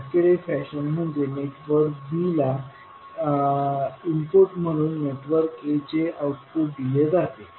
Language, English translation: Marathi, Cascaded fashion means the network a output is given as an input to network b